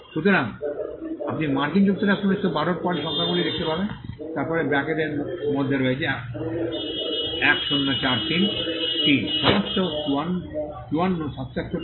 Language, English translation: Bengali, So, you will find these numbers next to United States 1912, then there is 1043 all in brackets 54, 76